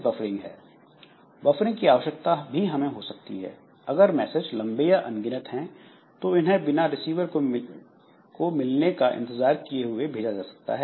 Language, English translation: Hindi, So buffering that we need maybe if the message is long or multiple messages are being sent without waiting for this receiver to receive it